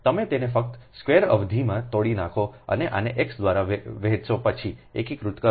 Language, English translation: Gujarati, you just break it in the square term and just divide this by x, then integrate, right